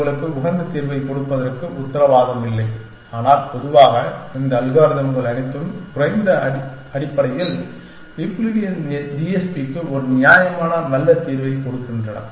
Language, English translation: Tamil, Not guarantee to give you an optimal solution but, in general all these algorithms give you a reasonably good solution for Euclidean TSP, at least essentially